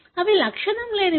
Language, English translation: Telugu, They are asymptomatic